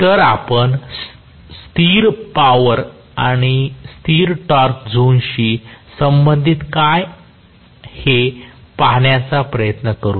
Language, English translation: Marathi, So, let us try to see what we, do you know corresponding to constant power and constant torque zone